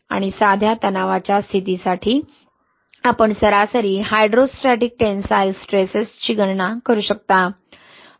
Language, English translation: Marathi, And for plain stress condition, what you can calculate is average hydrostatic tensile stresses, right